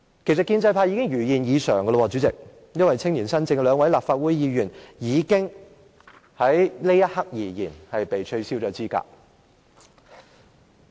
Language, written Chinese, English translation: Cantonese, 其實，建制派已經如願已償，主席，因為青年新政的兩位立法會議員——在這一刻而言——已經被取消資格。, In fact the pro - establishment camp has already had their wish granted . President the two Members of the Legislative Council from the Youngspiration have been disqualified―for the time being